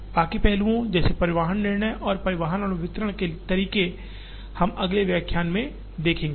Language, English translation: Hindi, Rest of the aspects such as transportation decisions and modes for transportation and distribution, we will see in the next lecture